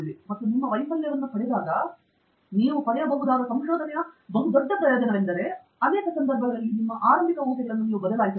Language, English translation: Kannada, And one great advantage of research, which you can use to get over your failure, in many cases, you should change your initial assumptions